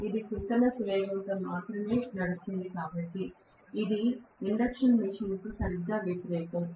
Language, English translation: Telugu, Because it is going to run only at synchronous speed, it is exactly opposite of induction machine